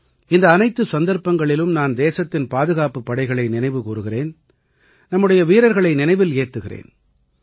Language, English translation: Tamil, On all these occasions, I remember the country's Armed Forces…I remember our brave hearts